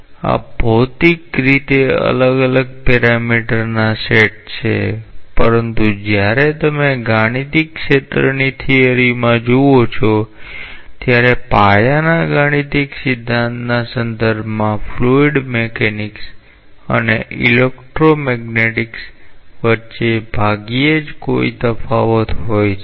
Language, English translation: Gujarati, These are physically different sets of parameters, but when you look into the mathematical field theory there is hardly any distinction between fluid mechanics and electro magnetics in terms of the basic mathematical theory that goes behind